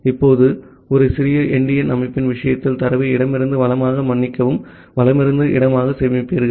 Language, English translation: Tamil, Now, in case of a little endian system, you will store the data from left to right sorry from right to left